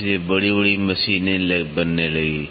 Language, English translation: Hindi, So, big machines were started getting built